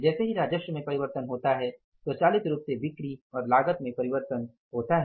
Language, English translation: Hindi, The moment the revenue changes, save change, cost automatically changes